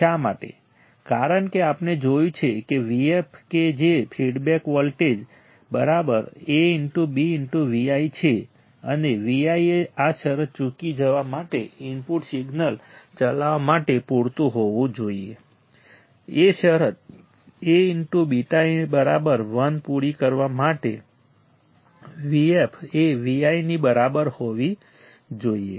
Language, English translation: Gujarati, Why, because we have seen that V f that is a feedback voltage is equal to A into beta into V i and a V i should be enough to drive the input signal to miss this condition V f should be equal to V i to meet that condition A into beta equals to 1